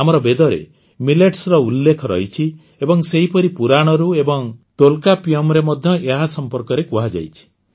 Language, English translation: Odia, Millets are mentioned in our Vedas, and similarly, they are also mentioned in Purananuru and Tolkappiyam